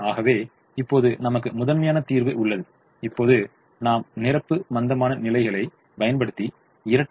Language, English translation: Tamil, so we now have the solution to the primal and we now apply the complimentary slackness conditions and see what happens to the dual